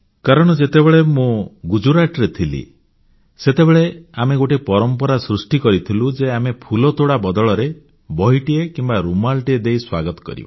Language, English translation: Odia, Because when I was in Gujarat, I had set this tradition of welcoming, by not giving bouquets, but books or handkerchiefs instead